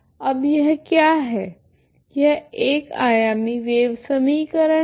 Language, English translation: Hindi, Now what is the, this is the equation this is the wave equation one dimensional wave equation